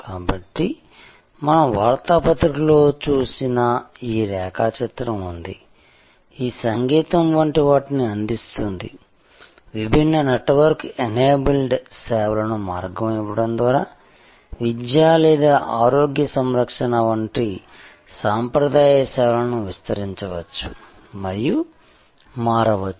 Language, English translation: Telugu, So, this diagram that we saw for newspaper, giving way to something like this music, giving way to different network enabled service like these may permeate and transform very traditional services, like education or health care